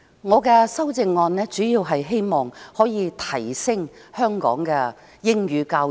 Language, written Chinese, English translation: Cantonese, 我提出修正案，主要是希望能夠提升香港的英語教育。, The purpose of my amendment is mainly to raise the standard of English language education in Hong Kong